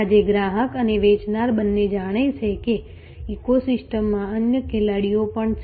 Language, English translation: Gujarati, Today, the customer and the seller both know that there are other players in the ecosystem